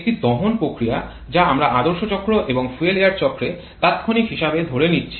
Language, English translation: Bengali, A combustion reaction we are assuming ideal cycle and also in fuel air cycle to be instantaneous